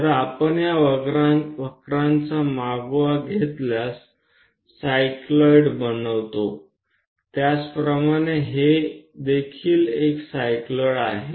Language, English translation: Marathi, If we are in your position to track these curves makes cycloids, similarly this one also a cycloid